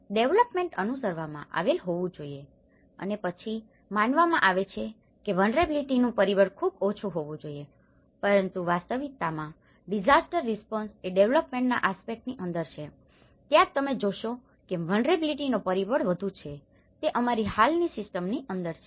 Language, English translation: Gujarati, The development used to follow, right and then supposedly, the vulnerability factor should be very less but in reality, the disaster response is within the development aspect, that is where you see the vulnerability factor is more, it is within our existing system